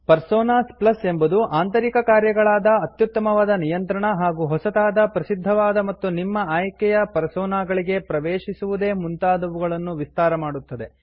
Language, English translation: Kannada, # Personas Plus extends this built in functionality # to give greater control # easier access to new, popular, and even your own favorite Personas